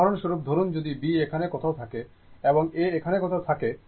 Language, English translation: Bengali, For example, suppose if B is somewhere here, and A is somewhere here